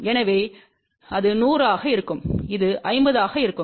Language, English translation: Tamil, So, that will be 100 and this will be 50